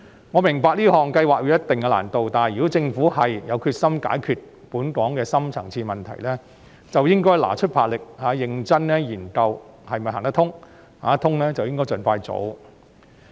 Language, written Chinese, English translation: Cantonese, 我明白這項計劃會有一定的難度，但如果政府有決心解決本港的深層次問題，便應拿出魄力，認真研究是否行得通，如是便應該盡快做。, I understand that such a project will entail considerable difficulties but if the Government is determined to resolve the deep - rooted problems of Hong Kong it should devote its strength and energy to seriously examine whether it is feasible and if so it should be done as soon as possible